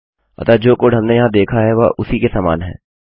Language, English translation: Hindi, So the code we see here is the same as that